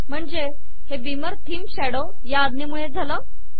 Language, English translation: Marathi, So this is done by the command – beamer theme shadow